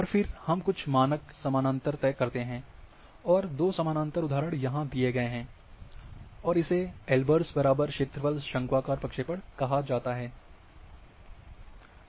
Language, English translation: Hindi, And then there are when we fix certain standard parallels, and with two parallel examples is given here, then this is called Albers equal area conical projection